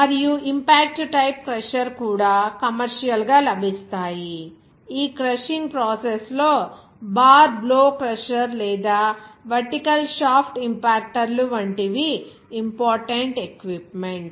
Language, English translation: Telugu, And also impact type of crusher, are also available commercially, such as bar blow crusher or vertical shaft impactors, are important equipment for this crushing process